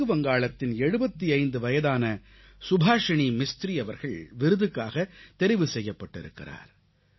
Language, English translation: Tamil, I would like to mention another name today, that of 75 year old Subhasini Mistri, hailing from West Bengal, who was selected for the award